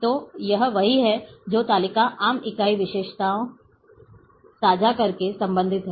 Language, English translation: Hindi, So, this is what it is meaning is that the tables related by sharing common entity characteristic